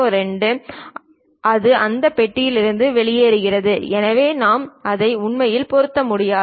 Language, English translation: Tamil, 02 it will be out of that box so, we cannot really fit it